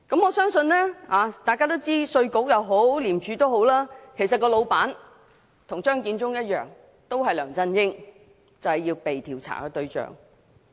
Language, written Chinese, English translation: Cantonese, 我相信大家都知道，稅務局和廉署跟張建宗一樣，老闆都是梁振英，就是被調查的對象。, I believe Members will know that IRD and ICAC are in the same position as Matthew CHEUNG in that their boss is LEUNG Chun - ying who is the subject of investigation